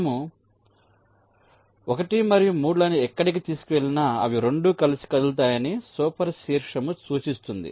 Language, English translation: Telugu, lets super vertex will indicate that one and three, where ever you move, they will all move together